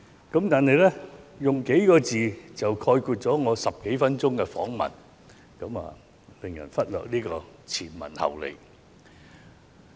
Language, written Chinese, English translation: Cantonese, 如果用上數個字便概括了我10多分鐘的訪問內容，便會叫人忽略前文後理。, If they use just a few words to generalize what I said during an interview of some 10 minutes people will tend to disregard the context of my words